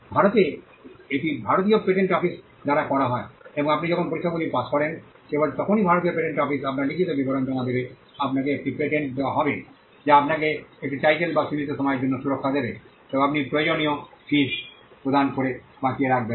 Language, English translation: Bengali, In India it is done by the Indian patent office and only when you pass the tests that the Indian patent office will subject your written description to will you be granted a patent, which will give you a title and a protection for a limited period of time, provided you keep it alive by paying the required fees